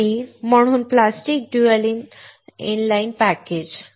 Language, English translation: Marathi, And hence plastic dual inline package